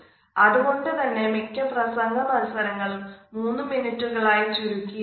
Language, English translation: Malayalam, And that is why in most of the spoken competitions the time which we said is at least 3 minutes